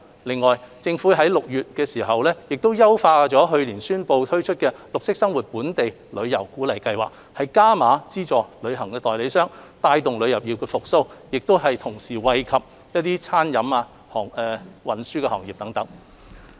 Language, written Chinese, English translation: Cantonese, 此外，政府於6月優化去年年底宣布推出的綠色生活本地遊鼓勵計劃，加碼資助旅行代理商，帶動旅遊業復蘇，並同時惠及餐飲和運輸等行業。, In the meantime the Government enhanced in June 2020 the Green Lifestyle Local Tour Incentive Scheme which was announced late last year . Through enhancing cash incentives for travel agents the Scheme has contributed to the revival of the tourism sector and supported the food and beverage and transport sectors